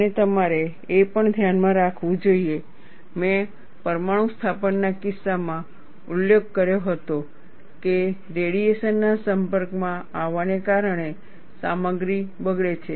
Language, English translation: Gujarati, And you should also keep in mind, I had mentioned, in the case of nuclear installation, the material degrades because of exposure to radiation